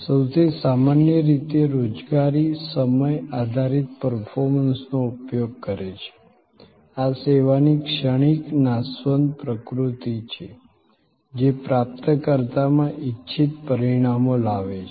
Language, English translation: Gujarati, Most commonly employing time based performances, this is the transient perishable nature of service to bring about desired results in recipient themselves